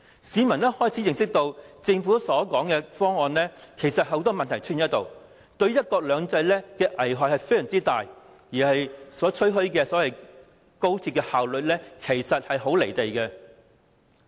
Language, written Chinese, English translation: Cantonese, 市民逐漸明白，政府提出的方案存在眾多問題，對"一國兩制"亦有很大危害，當中吹噓的高鐵效率亦與事實不符。, The public has gradually realized that the arrangement proposed by the Government is plagued with problems and detrimental to one country two systems and that the much - hyped efficiency of XRL is also inconsistent with the facts